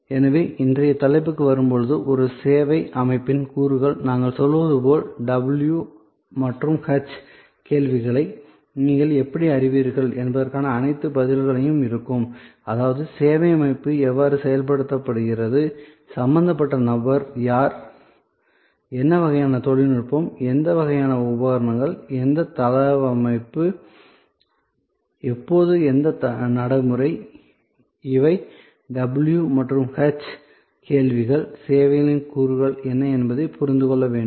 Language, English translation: Tamil, So, in sort come in to today’s topic, elements of a services system will be all the answers to the why how you know the w and h questions as we say; that means, how is the service system implemented, what who are the people who are involved, what kind of technology, what kind of equipment, what layout, when what procedure, these are the w and h questions which as to be ask to understand that what are the elements of services